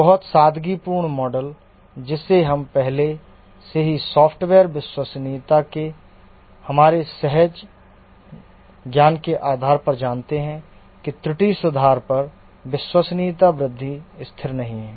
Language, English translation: Hindi, Very simplistic model, we know already based on our intuitive knowledge of the software reliability that the reliability growth and error fix is not constant